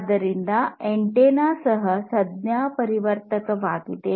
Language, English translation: Kannada, So, antenna is also a transducer